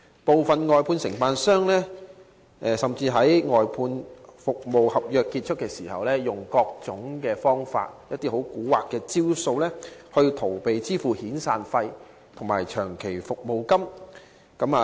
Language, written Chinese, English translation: Cantonese, 部分外判商甚至於外判服務合約完結時，以各種方法逃避向外判員工支付遣散費及長期服務金的責任。, Some outsourced contractors have even evaded by various means kind of crafty tactics their obligation to pay outsourced workers severance payment SP and long service payment LSP upon expiry of outsourced service contracts